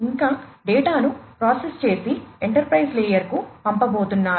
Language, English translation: Telugu, And further the data are going to be processed and sent to the enterprise layer